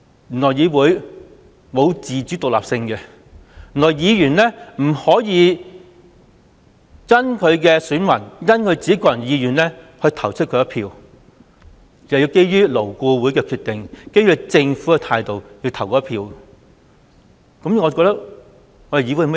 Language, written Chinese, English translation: Cantonese, 原來立法會沒有自主獨立性，原來議員不可以因應選民和個人的意願而進行表決，而是基於勞顧會的決定和政府的態度來進行表決。, It turns out that the Legislative Council cannot be independent and autonomous and Members cannot vote in accordance with the electors preference and their own preference . Members can only vote on the basis of LABs decision and the Governments attitude